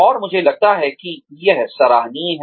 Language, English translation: Hindi, And that, I think is commendable